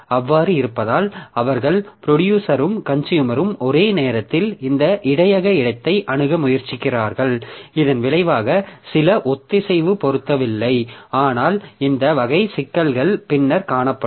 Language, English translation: Tamil, Because it may so happen that the producer and consumer they are trying to access this buffer space simultaneously as a result there is some synchronization mismatch